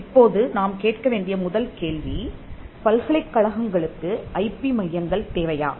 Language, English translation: Tamil, Now, the first question that we need to ask is whether universities need IP centres